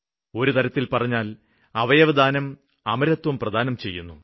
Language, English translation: Malayalam, Organ donation can bring about immortality